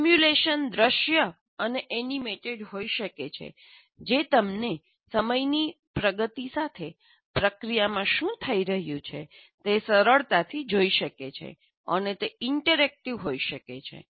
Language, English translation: Gujarati, Simulation can be visual and animated allowing you to easily see what's happening in the process as time progresses